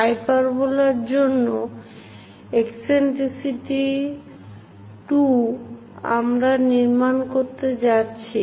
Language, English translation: Bengali, For hyperbola of eccentricity 2, we are going to construct